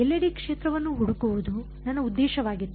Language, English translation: Kannada, My objective was to find the field everywhere